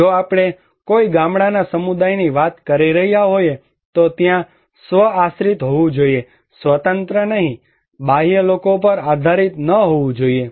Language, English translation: Gujarati, If we are talking about a village community, there should be self dependent, not independent, not depend to external people